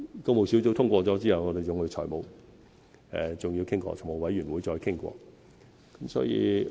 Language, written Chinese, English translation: Cantonese, 工務小組委員會通過後，我們還要與財務委員會再商討。, Even after approval has been given by the Public Works Subcommittee we have to discuss the project again in the Finance Committee